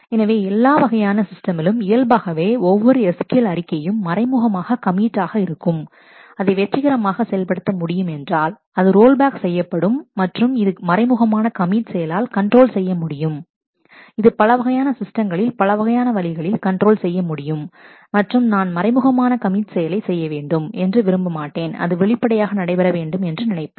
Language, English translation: Tamil, So, in almost all systems by default every SQL statement commits implicitly and, if it has been able to execute successfully, otherwise it rolls back and this implicit commit can be controlled also, it can be in different system there are different ways to control that and say that I do not want implicit commit I would only want commit to be done explicitly